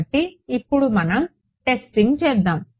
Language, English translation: Telugu, So, let us now let us do testing with